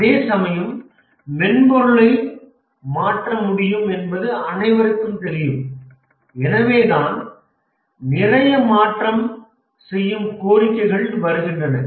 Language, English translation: Tamil, Whereas everybody knows that software can be changed and therefore lot of change requests come